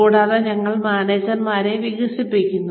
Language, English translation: Malayalam, And, we develop managers